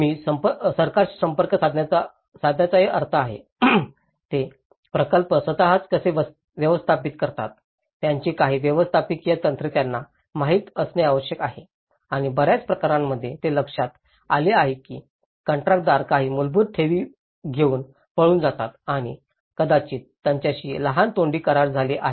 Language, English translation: Marathi, I mean in contact with the government also, they need to know some the managerial techniques of how they can manage the projects themselves and in many cases, it has been noted that contractors run away with some basic deposits and maybe having a small verbal agreements with the owners and they run away so, in that way the whole project leave left incomplete